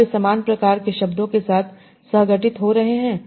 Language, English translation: Hindi, Are they co occurring with similar sort of words